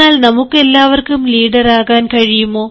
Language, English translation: Malayalam, now, can all of us be leaders